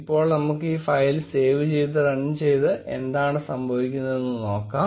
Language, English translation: Malayalam, Now, let us save this file run it and see what happens